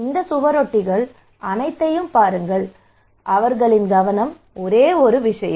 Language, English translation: Tamil, well, look at everyone look at all these posters their focus is only one thing